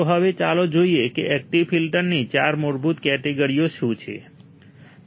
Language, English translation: Gujarati, So, now, let us see what are the four basic categories of active filter